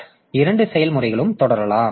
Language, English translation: Tamil, So, the both the processes can continue